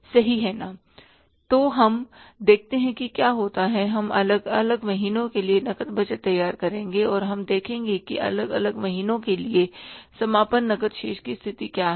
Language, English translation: Hindi, We will prepare the cash budget for the different months and we will see what is the closing cash balance position for the different months